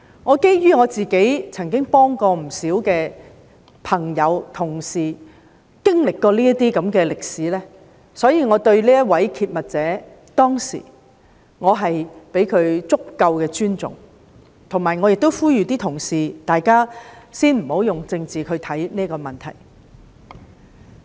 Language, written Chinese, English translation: Cantonese, 我曾幫助不少朋友、同事經歷這種事情，所以我當時相當尊重這名揭密者，並呼籲各位同事先不要以政治角度看待這個問題。, I have assisted quite a number of friends and colleagues when they were experiencing such situations so I paid much respect to the whistle - blower at that time and urged Honourable colleagues not to look at this issue from the political perspective right at the beginning